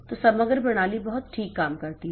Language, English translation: Hindi, So, the overall system works very fine